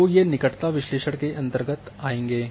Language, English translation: Hindi, So, these are will fall in the proximity analysis